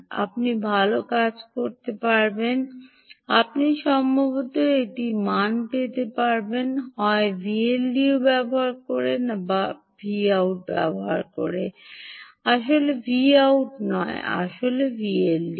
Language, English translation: Bengali, good thing you would have done is you would have probably got one value, either using v l d o or using the v out not actually v out, actually the v